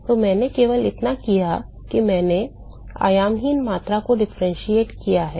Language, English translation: Hindi, So, all I have done is I have differentiated the dimensionless quantity